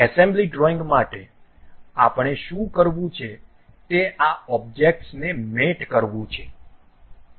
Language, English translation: Gujarati, For assembly drawing, what we have to do is mate these objects